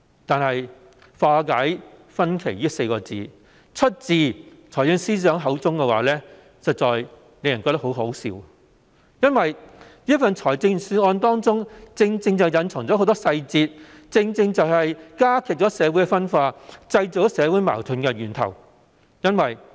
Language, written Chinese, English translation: Cantonese, 可是，"化解分歧"這4字出自財政司司長口中便實在令人感到很可笑，因為這份預算案正正隱藏很多細節，既會加劇社會分化，也是創造社會矛盾的源頭。, However it is indeed laughable to hear the Financial Secretary say resolve differences . This is because many details are hidden in this Budget which will not only intensify social dissension but also create social conflicts